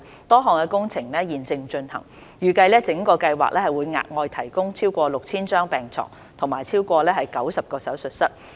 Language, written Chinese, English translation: Cantonese, 多項工程現正進行，預計整個計劃會額外提供超過 6,000 張病床和超過90個手術室。, Various projects are under way and it is expected that the whole project will provide a total of over 6 000 additional beds and more than 90 operating theatres